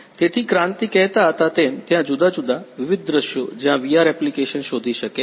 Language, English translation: Gujarati, So, as Kranti was saying there are different; different scenarios where VR can find applications